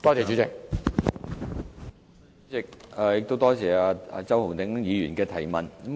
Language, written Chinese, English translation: Cantonese, 主席，多謝周浩鼎議員的補充質詢。, President I thank Mr Holden CHOW for the supplementary question